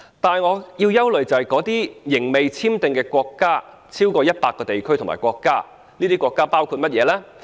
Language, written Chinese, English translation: Cantonese, 但是，我們憂慮的是那些仍未簽訂協定的國家及地區有超過100個，當中包括甚麼國家呢？, What worries us though are the more than 100 countries which have yet to enter into CDTAs with Hong Kong . What countries are they?